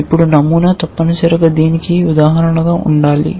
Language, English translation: Telugu, Then the pattern must be an instance of that essentially